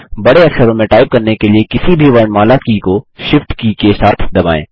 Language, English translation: Hindi, Press the shift key together with any other alphabet key to type capital letters